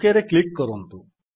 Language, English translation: Odia, Now click on the OK